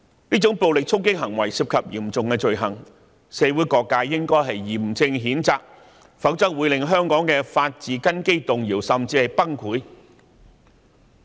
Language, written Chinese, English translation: Cantonese, 這種暴力衝擊行為涉及嚴重罪行，社會各界應該嚴正譴責，否則會令香港的法治根基動搖，甚至崩潰。, These violent attacks were serious criminal acts . All sectors of society should solemnly condemn such acts . Otherwise the foundation for the rule of law in Hong Kong will be shaken or even crushed to pieces